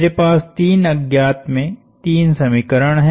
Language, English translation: Hindi, I have three equations in three unknowns